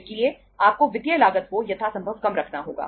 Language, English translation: Hindi, So you have to keep the financial cost as low as possible